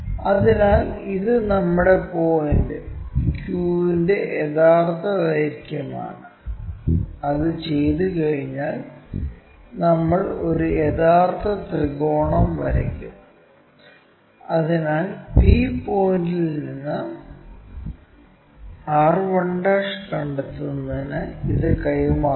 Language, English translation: Malayalam, So, this is true length of our Q point Q to r, once it is done we will draw an actual triangle, so we have to transfer this one to locate from p point r 1'